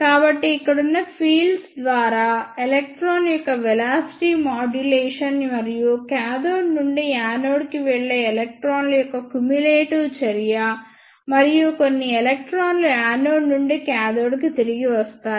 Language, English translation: Telugu, So, because of velocity modulation of electron by the fields present here, and the cumulative action of electrons going from cathode to anode and some electrons returning from anode to cathode